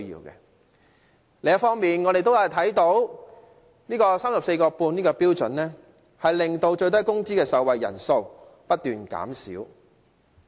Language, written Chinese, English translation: Cantonese, 另一方面，我們看到 34.5 元這個標準令最低工資的受惠人數不斷減少。, On the other hand we see that the number of beneficiaries of SMW has been on the decrease